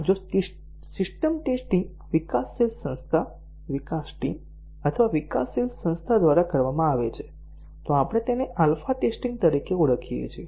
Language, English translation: Gujarati, If the system testing is done by the developing organization itself, the development team or the developing organization, we call it as the alpha testing